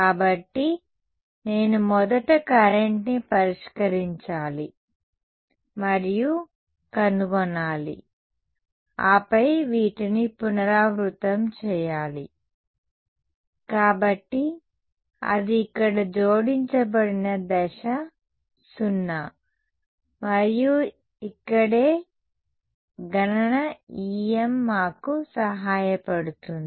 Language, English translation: Telugu, So, I have to solve and find out the current first then repeat these; so, that is the step 0 added over here, and that is where computational EM helps us ok